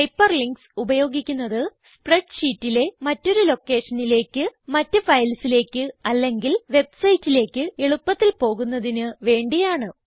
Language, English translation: Malayalam, You can use Hyperlinks to jump To a different location within a spreadsheet To different files or Even to web sites